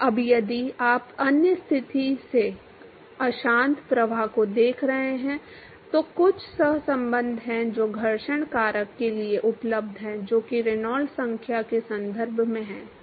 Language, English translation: Hindi, Now, if you are looking at turbulent flow in other condition, there are some correlations which is available for the friction factor, which is in terms of the Reynolds number